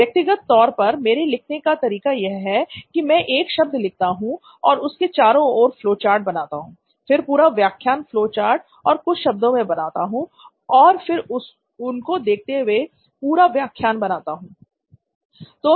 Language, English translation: Hindi, The way I write personally is I write a word I draw flowcharts to around that word, then try to make up the whole lecture in flowcharts or couple of words itself and then make up the whole lecture for myself looking at those words